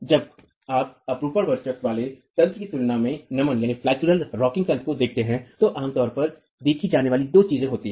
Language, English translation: Hindi, When you look at flexural rocking mechanisms in comparison to shear dominated mechanisms, there are two things that are typically observed